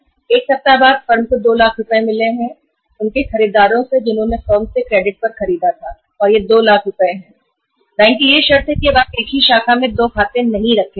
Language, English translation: Hindi, One week after firm received 2 lakh rupees of the payment from their buyers who have bought on credit from the firm and that 2 lakh rupees so this is the condition of the bank that now you will not maintain 2 accounts in the same branch or in the at the any other branch of the same bank or in any other bank